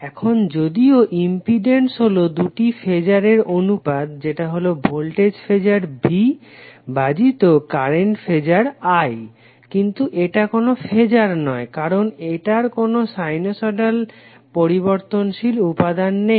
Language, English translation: Bengali, Now although impedance is the ratio of two phasor, that is phasor V divided by phasor I, but it is not a phasor, because it does not have the sinusoidal varying quantity